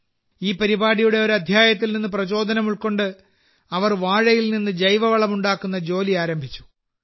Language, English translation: Malayalam, Motivated by an episode of this program, she started the work of making organic fertilizer from bananas